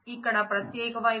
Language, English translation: Telugu, The unique side here